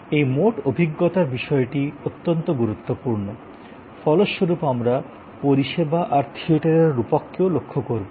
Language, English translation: Bengali, This total experience point is very important, as a result we also look at the metaphor of theater in case of service theater metaphor